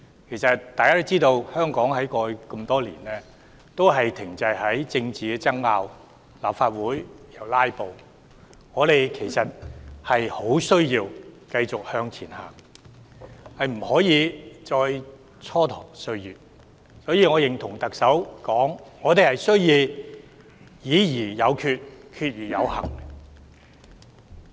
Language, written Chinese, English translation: Cantonese, 大家都知道，香港多年來都停滯在政治爭拗和立法會"拉布"，我們十分需要向前邁進，不能繼續蹉跎歲月，所以我認同特首所說，我們要"議而有決、決而有行"。, As we all know Hong Kong has remained stagnant due to political disputes and filibustering in the Legislative Council . We need to move forward badly and we can continue to procrastinate no more . Hence I agree with the Chief Executive that we must decide and proceed after discussions